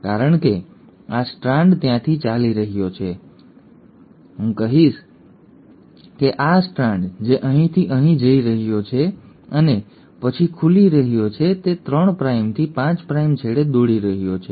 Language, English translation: Gujarati, because this strand is running from, I would say this particular strand, which is going from here to here and is then opening, is running at the 3 prime to 5 prime end